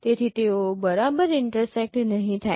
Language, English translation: Gujarati, So they may not exactly intersect